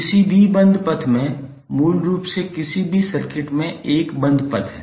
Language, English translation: Hindi, In any closed path loop is basically a closed path in any circuit